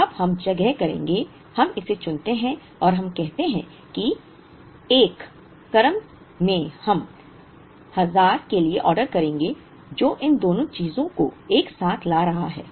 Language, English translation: Hindi, So, now we would place, we pick this and we say that in the 1st order we would order for 1000 which is bringing these two things together